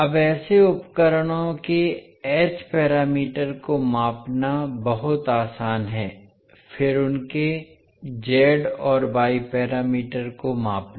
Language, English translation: Hindi, Now, it is much easier to measure experimentally the h parameters of such devices, then to measure their z and y parameters